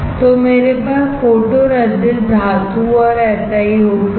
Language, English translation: Hindi, So, I have photoresist metal and SiO2